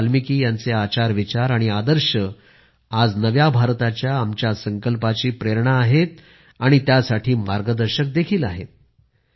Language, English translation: Marathi, Maharishi Valmiki's conduct, thoughts and ideals are the inspiration and guiding force for our resolve for a New India